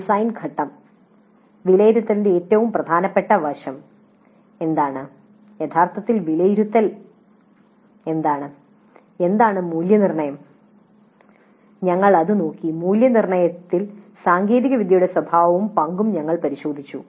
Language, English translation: Malayalam, Then in the design phase the most important aspect of assessment what is actual assessment, what is evaluation we looked at it, then we looked at the nature and role of technology in assessment the technology has a very strong bearing on the assessment the way it is designed implemented